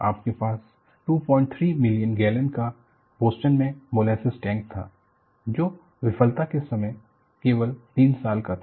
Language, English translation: Hindi, 3 million gallon Boston molasses tank, which was only 3 years old at the time of failure